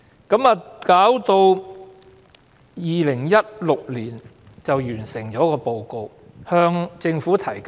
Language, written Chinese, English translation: Cantonese, 到了2016年，平機會完成報告，並向政府提交。, In 2016 EOC completed the report and submitted it to the Government